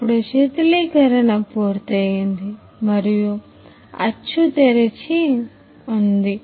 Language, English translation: Telugu, Now the cooling is complete and the mould is open